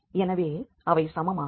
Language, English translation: Tamil, So, these two should be equal